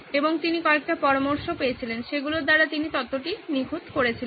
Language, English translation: Bengali, And he got a few suggestions, he perfected the theory